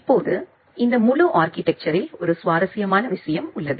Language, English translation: Tamil, Now, in this entire architecture there is an interesting observation